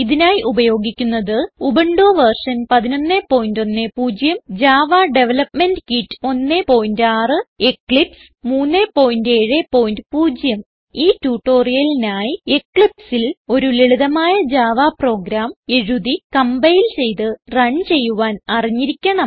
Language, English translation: Malayalam, Here we are using Ubuntu version 11.10 Java Development kit 1.6 and Eclipse 3.7.0 To follow this tutorial you must know how to write, compile and run a simple java program in eclipse